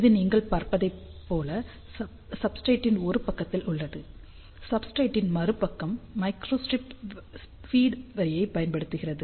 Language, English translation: Tamil, So, this is on one side of the substrate as you can see over here, other side of the substrate actually uses a microstrip feed line